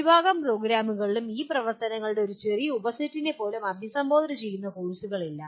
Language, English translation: Malayalam, Majority of the programs do not have courses that address even a small subset of these activities